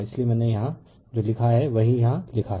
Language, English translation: Hindi, So, that is why what I have written here right this is what I have written here